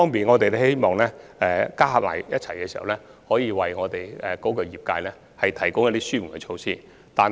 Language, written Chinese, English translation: Cantonese, 我們希望透過推行各項措施，可以為業界提供一些紓緩。, We hope that these various measures can provide some relief for the sector